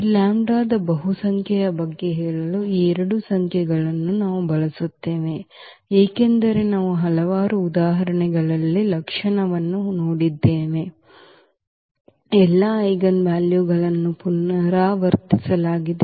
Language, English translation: Kannada, So, these are the two numbers which we will now use for telling about the multiplicity of this lambda, because we have seen in several examples the characteristic, roots all the eigenvalues were repeated